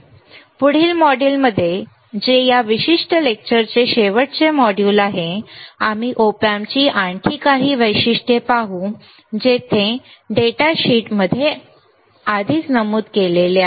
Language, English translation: Marathi, In the next module which is the last module of this particular lecture, we will see further few further characteristics of Op Amp there are already mentioned in the data sheet all right